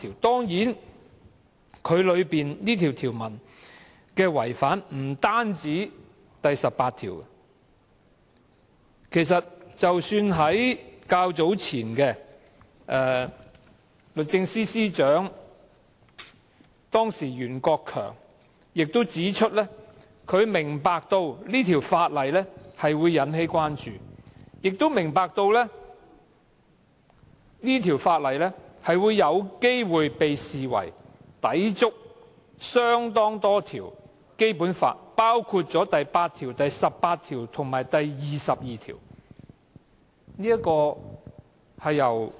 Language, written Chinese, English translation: Cantonese, 當然，《條例草案》不單違反《基本法》第十八條，前任律政司司長袁國強早前亦曾指出，他明白《條例草案》會引起關注，亦明白《條例草案》有機會被視為抵觸多項《基本法》條文，包括第八條、第十八條及第二十二條。, Of course the Bill does not only contravene Article 18 of the Basic Law . As pointed out by former Secretary for Justice Rimsky YUEN in his earlier remarks the Bill would likely cause concerns and might be regarded as contravening a number of articles of the Basic Law including Articles 8 18 and 22